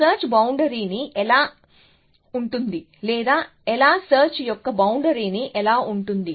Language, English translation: Telugu, How will the search frontier look like or the boundary of the search look like